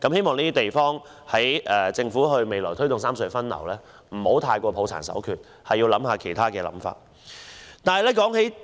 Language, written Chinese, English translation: Cantonese, 我希望政府推動三隧分流時，不要過於抱殘守缺，應考慮其他方法。, I hope that the Government will look for alternative solutions to redistribute traffic among the three RHCs instead of sticking doggedly to outdated approaches